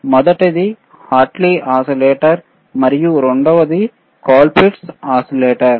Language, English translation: Telugu, tThe first one wasis a Hartley oscillator and the second one was colpitts oscillator